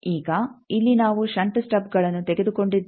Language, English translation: Kannada, Now, here we have taken shunt stubs